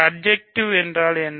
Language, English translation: Tamil, What is surjective mean